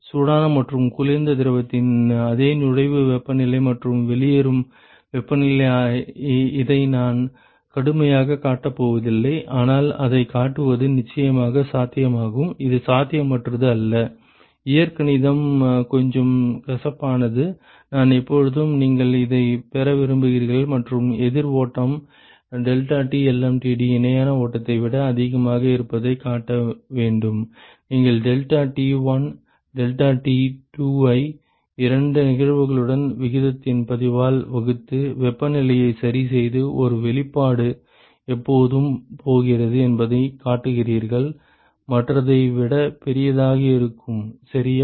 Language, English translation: Tamil, The same inlet temperatures and outlet temperatures of hot and cold fluid, I am not going to show this rigorously, but it is it is definitely possible to show and, it is not very it is not impossible the algebra is a little bit gory, I always want you to derive this and show that the counter flow deltaT lmtd is greater than the parallel flow, you take deltaT1 deltaT2 divided by the log of the ratio of both cases and, you fix the temperatures and show that one expression is always going to be greater than the other one ok